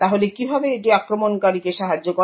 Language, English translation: Bengali, So how does this help the attacker